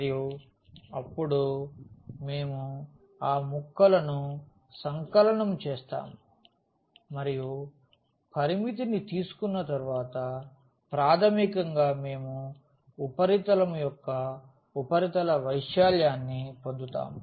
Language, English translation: Telugu, And, then we will sum those pieces and after taking the limit basically we will get the surface area of the of the surface